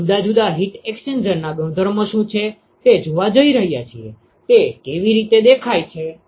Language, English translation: Gujarati, We are going to see what are the properties of different heat exchangers, how they look like